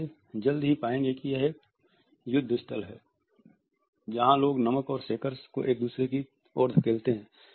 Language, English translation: Hindi, You would find it soon it would be a tug of war people pushing the salt and shakers towards each other site